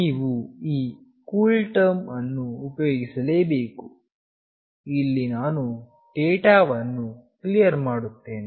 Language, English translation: Kannada, You have to use this CoolTerm; where I am clearing the data